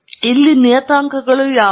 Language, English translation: Kannada, What are the parameters here